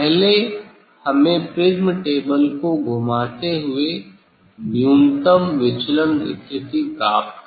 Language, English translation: Hindi, first we have to get the minimum deviation position rotating the prism table